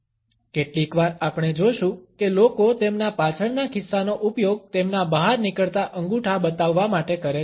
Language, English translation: Gujarati, Sometimes we would find that people use their back pockets to show their protruding thumbs